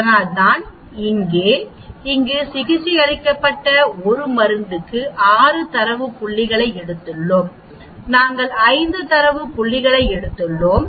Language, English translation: Tamil, So here, we have taken 6 data points for a drug treated here we have taken 5 data point